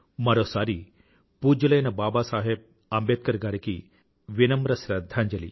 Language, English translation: Telugu, Once again my humble tribute to revered Baba Saheb